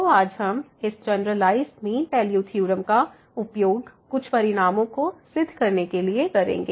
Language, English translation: Hindi, So, this generalized mean value theorem will be used today to prove sum of the results